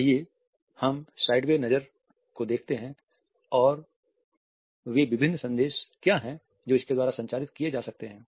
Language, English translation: Hindi, Let us look at the sideway glance and what are the different messages it may communicate